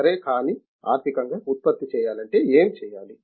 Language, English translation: Telugu, Okay But to economically produce it has to be done